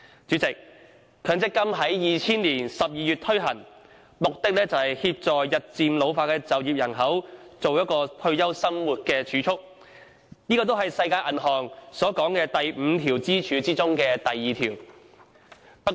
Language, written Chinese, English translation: Cantonese, 強積金制度在2000年12月開始推行，旨在協助日漸老化的就業人口，為退休生活作儲備，這亦是世界銀行所指的5根支柱中的第二根支柱。, The MPF System was launched in December 2000 with the objective of helping the ageing working population to keep savings for their retirement . This is the second pillar of the five pillars of old age protection envisioned by the World Bank